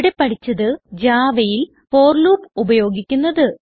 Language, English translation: Malayalam, In this tutorial, you will learn how to use the for loop in Java